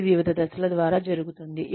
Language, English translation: Telugu, This happens through various steps